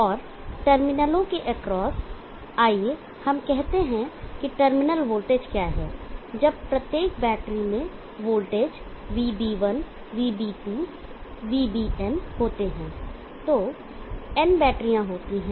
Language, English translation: Hindi, And across the terminals let us say what is the terminal voltage when each of the battery is having voltage VB1, Vb2, VBn there are n batteries